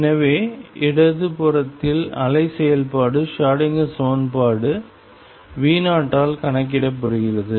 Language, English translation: Tamil, So, on the left hand side the wave function is calculated by the Schrodinger equation V 0